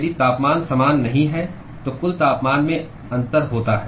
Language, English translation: Hindi, If the temperatures are not same then there is a overall temperature difference